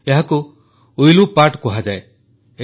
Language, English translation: Odia, It is called 'Villu paat'